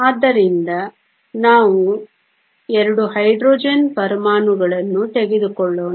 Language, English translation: Kannada, So, Let us take 2 Hydrogen atoms